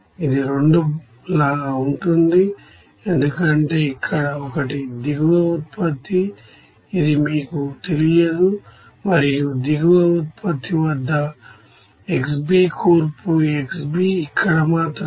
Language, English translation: Telugu, It will be like 2, because here one is bottom product it is unknown to you and the composition xB at bottom product, xB only here